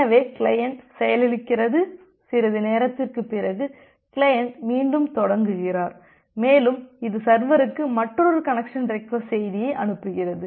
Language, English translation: Tamil, So, the client got crashed and after some time, the client again re initiates and it sends another connection request message to the server